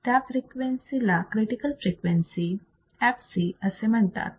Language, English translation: Marathi, That frequency is called critical frequency fc